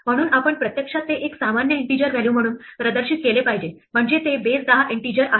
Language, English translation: Marathi, So, we should actually display it as a normal integer value namely it's a base ten integer